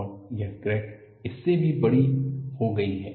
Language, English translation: Hindi, And this crack has grown bigger than this